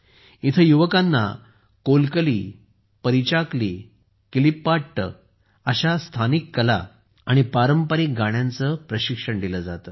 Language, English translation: Marathi, Here the youth are trained in the local art Kolkali, Parichakli, Kilipaat and traditional songs